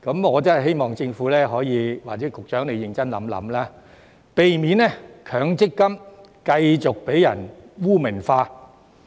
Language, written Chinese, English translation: Cantonese, 我真的希望政府或局長可以認真考慮，避免強積金繼續被人污名化。, I truly hope that the Government or the Secretary will give this serious consideration to prevent MPF from continuing to be stigmatized